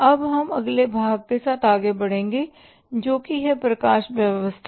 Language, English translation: Hindi, Now we will proceed further with the next part is the lighting